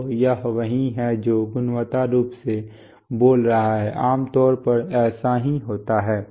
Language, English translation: Hindi, So this is what qualitatively speaking, this is what typically happens